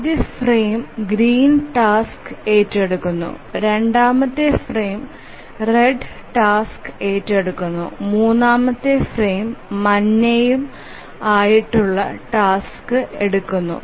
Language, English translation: Malayalam, So, first frame it took up the green task, the second frame the red task, third frame, yellow task and so on